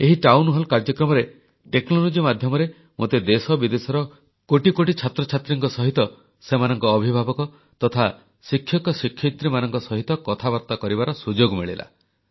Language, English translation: Odia, In this Town Hall programme, I had the opportunity to talk with crores of students from India and abroad, and also with their parents and teachers; a possibility through the aegis of technology